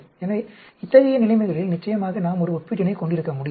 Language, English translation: Tamil, So, in such situations, of course, we cannot have a comparison